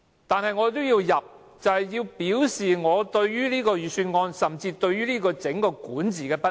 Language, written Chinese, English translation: Cantonese, 但我也要提出，便是要表示我對這份預算案，甚至是政府整個管治的不滿。, But I will raise such amendments anyway in order to show my discontent with this Budget and with the overall governance of the Government